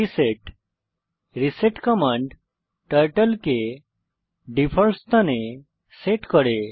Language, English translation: Bengali, reset reset command sets Turtle to default position